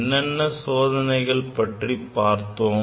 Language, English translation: Tamil, What are the experiments we have demonstrated